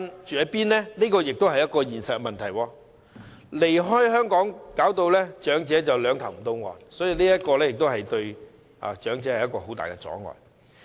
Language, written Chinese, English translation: Cantonese, 這亦是一個現實問題，離開香港使長者"兩頭唔到岸"，這對長者而言也是一個很大阻礙。, This is also a practical problem . If elderly people leave Hong Kong they will be caught in the middle of nowhere . This is a major deterrence to elderly people